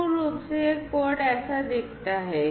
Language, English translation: Hindi, And so so this is basically how this code looks like